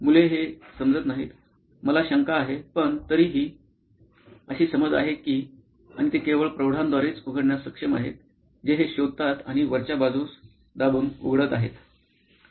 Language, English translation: Marathi, The kids do not figure this out, I doubt that but anyway the assumption is that and they are able to open by only adults who figure this out is pressing on top and opening it